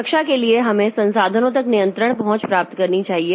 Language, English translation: Hindi, For protection, we should get control access to resources